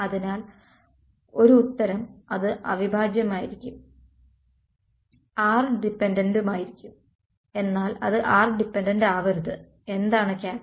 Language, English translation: Malayalam, So, one answer is that it will be the integral will be r dependent it should not be r dependent what is the catch